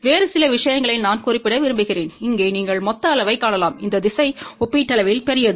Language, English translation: Tamil, A few other things I just want to mention that here you can see that the total size in this direction is relatively large ok